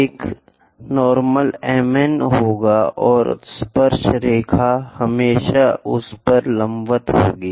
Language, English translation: Hindi, This will be the normal M N and the tangent always be perpendicular to that